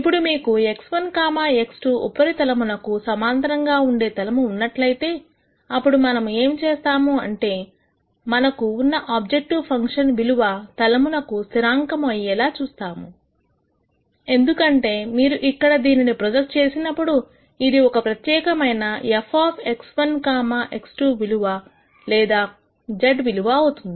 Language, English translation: Telugu, Now, if you have a plane that is parallel to the x 1, x 2 surface then what we are going to see is we are going to have the objective function value be a constant across the plane because when you project it here it is going to be at a particular f of x 1, x 2 value or z value